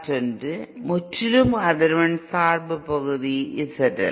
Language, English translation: Tamil, And another purely frequency dependent part Z L